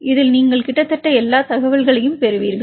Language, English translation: Tamil, This case you will get almost all the information right